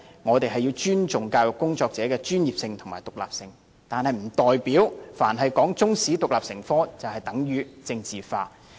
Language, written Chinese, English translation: Cantonese, 我們要尊重教育工作者的專業和獨立地位，但不代表凡提出將中史獨立成科，就是將之政治化。, We should respect the professional and independent status of educators but that does not mean that whoever proposes to teach Chinese history as an independent subject is politicizing the issue